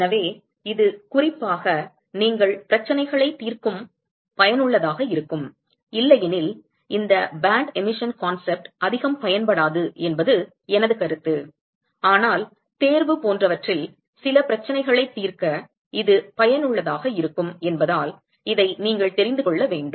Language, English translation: Tamil, So this is useful particularly when you are solving problems, otherwise my opinion I do not see much use for this band emission concept, but you should know this because it is useful in solving some problems in the exam etcetera